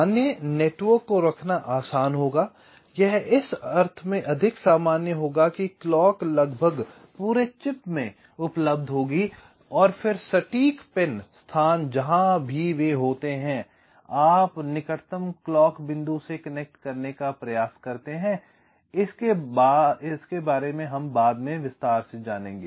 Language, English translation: Hindi, it will be more generic in the sense that clocks will be available almost all throughout the chip and then the exact pin location, wherever they are, you try to connect to the nearest clock point, something like that